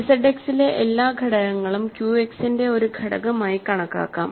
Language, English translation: Malayalam, Every element in Z X can be thought of as an element of Q X